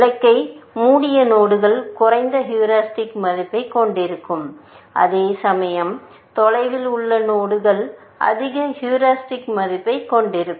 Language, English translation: Tamil, Nodes which are closer to the goal will have lower heuristic value, whereas, nodes which are away will higher heuristic value, essentially